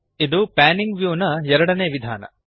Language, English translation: Kannada, This is the second method of Panning the view